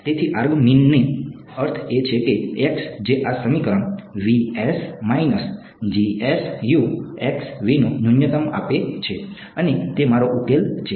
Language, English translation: Gujarati, So, argmin means that x which gives the minimum of this expression s minus G S Ux and that is my solution